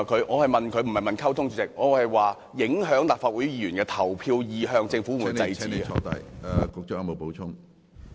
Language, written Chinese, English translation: Cantonese, 我是問，當中聯辦影響立法會議員的投票意向時，政府會否制止？, I am asking if the Government will stop CPGLO when it tries to influence Members voting positions?